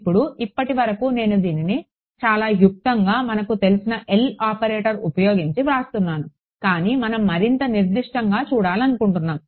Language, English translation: Telugu, Now, so far I have been writing this is as a very abstract you know L operator kind of thing, but we will not want to see something more concrete